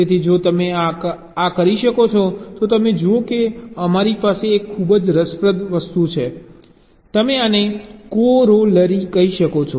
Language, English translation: Gujarati, so if you can do this, then you see we have a very interesting you can say corollary to this